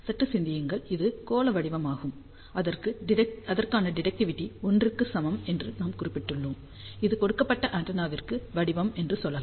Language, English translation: Tamil, So, just think about this is the spherical pattern for which we have mentioned directivity is equal to 1, and this is the lets say pattern for a given antenna